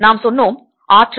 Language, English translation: Tamil, we said that energy